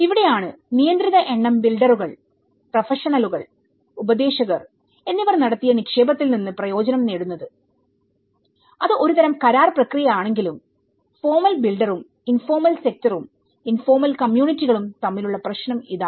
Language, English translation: Malayalam, And this is where, a restricted number of builders, professionals and advisors benefit from the investment made and whatever it is a kind of contractual process and this the problem with this is where a formal builder versus with the informal sector, the informal communities